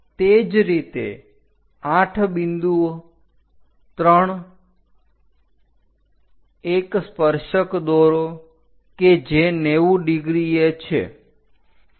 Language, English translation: Gujarati, Similarly, 8 point 3 draw a tangent which is at 90 degrees